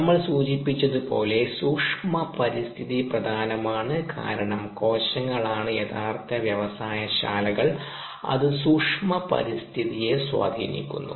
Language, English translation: Malayalam, from an industry point of view, microenvironment is important, as we mentioned, because cells, the actual factories, they are influenced by the microenvironment